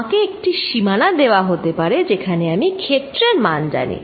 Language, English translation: Bengali, I may be given a boundary and where I know the field